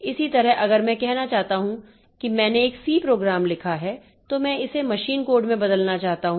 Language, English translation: Hindi, Similarly, if I want to say I have written a C program, I want to convert it into machine code, then how do I do it